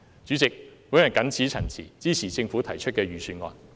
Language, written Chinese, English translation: Cantonese, 主席，我謹此陳辭，支持政府提出的預算案。, With these remarks President I support the Budget proposed by the Government